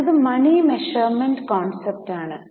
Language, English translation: Malayalam, Next one is money measurement concept